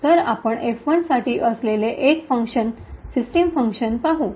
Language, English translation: Marathi, So, one function that we will look at for F1 is the function system